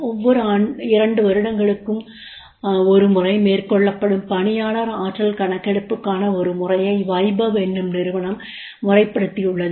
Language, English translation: Tamil, Weybaw has formalized a system for employee potential survey that is carried out once in every two year